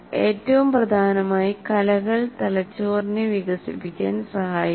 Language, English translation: Malayalam, And more importantly, arts can help develop the brain